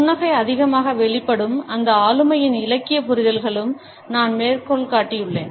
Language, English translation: Tamil, And here I have quoted from to literary understandings of those personalities where too much of a smiling is manifested